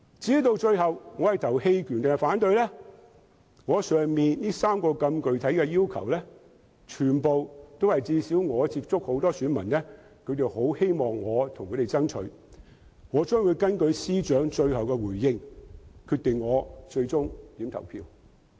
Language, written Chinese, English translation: Cantonese, 至於我最後會投棄權票還是反對票，我以上3項那麼具體的要求，均是我所接觸的選民希望我能為他們爭取的，我會根據司長最後的回應決定我最終的投票。, As regards whether I will abstain or vote against it in the end the electors whom I have contacted hope that I can fight for them for the three specific requests mentioned by me just now . I will decide my ultimate vote based on the Financial Secretarys final reply